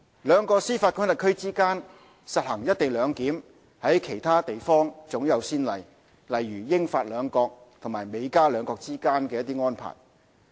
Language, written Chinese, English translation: Cantonese, 兩個司法管轄區之間實施"一地兩檢"，在其他地方早有先例，如英、法兩國及美、加兩國之間的安排。, There are overseas examples of implementation of co - location of CIQ facilities of two jurisdictions including the arrangement between the United Kingdom and France and that between the United States and Canada